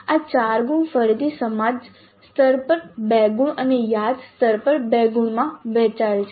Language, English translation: Gujarati, These 4 marks again are split into 2 marks at understand level and 2 marks at remember level